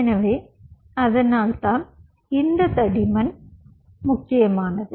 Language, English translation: Tamil, ok, so thats why this thickness does matter